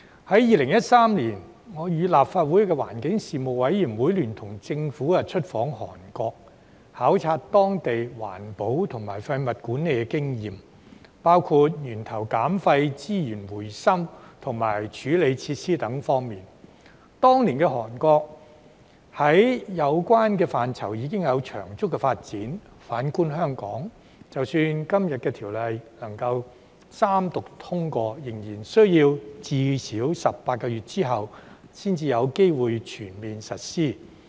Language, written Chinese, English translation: Cantonese, 在2013年，我與立法會環境事務委員會聯同政府出訪韓國，考察當地在環保和廢物管理的經驗，包括源頭減廢、資源回收及處理設施等方面，當年的韓國，在有關範疇已有長足的發展；反觀香港，即使今天的《條例草案》能夠三讀通過，仍然需要最少18個月之後才有機會全面實施。, In 2013 the Panel on Environmental Affairs of the Legislative Council and I visited Korea with the Government to study the countrys experience in environmental protection and waste management including waste reduction at source recycling treatment facilities and so on . At that time Korea had already made significant development in the relevant areas . On the contrary even if the Bill is read the Third time and passed in Hong Kong today it can only be fully implemented at least 18 months later